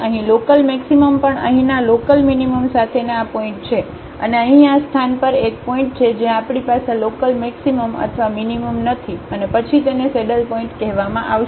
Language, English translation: Gujarati, Here also local maximum these are the points here with local minimum and there is a point at this place here where we do not have a local maximum or minimum and then this will be called a saddle point